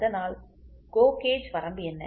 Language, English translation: Tamil, So, that is what is the GO gauge limit